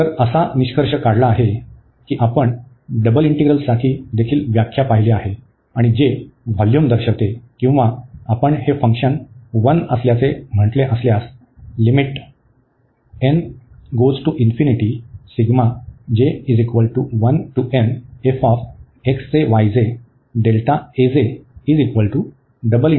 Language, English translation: Marathi, So, the conclusion is we have seen the the definition also for the double integral and which represents the volume or if we said this function to be 1